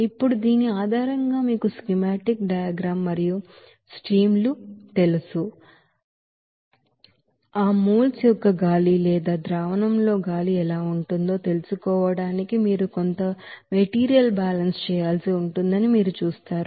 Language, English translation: Telugu, Now, based on this you know you know schematic diagram and the streams, you will see that you have to do some material balance to find out what will be the you know moles of that is air in the or solution is coming to that you know spray drier all those things